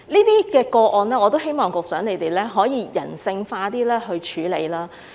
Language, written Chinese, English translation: Cantonese, 對於這些個案，我希望局長可以比較人性化地處理。, I wish that the Secretary can deal with these cases in a more humanistic way